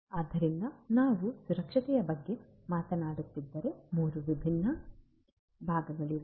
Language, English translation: Kannada, So, if we are talking about safety and security, there are three different prongs